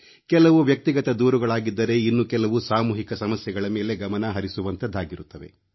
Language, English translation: Kannada, There are personal grievances and complaints and sometimes attention is drawn to community problems